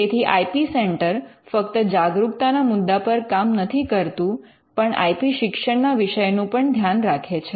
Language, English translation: Gujarati, So, the IP centre would not only look at awareness issues with regard to awareness of IP it would also be looking at IP education